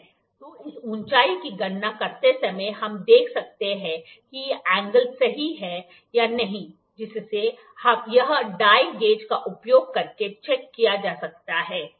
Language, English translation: Hindi, So, while calculating this height, we can see that is the angle correct or not that can be used checked using the dial gauge here, ok